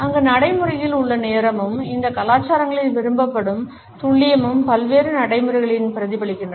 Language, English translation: Tamil, The punctuality which is practiced over there and the precision which is preferred in these cultures is reflected in various routines also